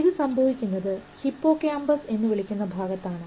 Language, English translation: Malayalam, This happens in an area called hippocampus